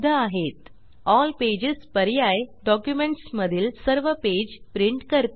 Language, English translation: Marathi, All pages option prints all the pages in the document